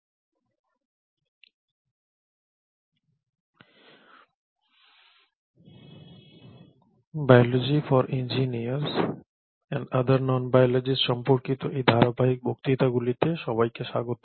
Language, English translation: Bengali, So welcome back to these series of lectures on biology for engineers and non biologists